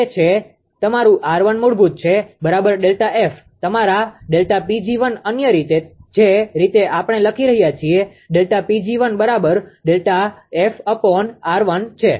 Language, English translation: Gujarati, That is your R 1 is equal to basically delta F upon your delta P g 1 other way we are writing delta P g 1 is equal to delta F of R 1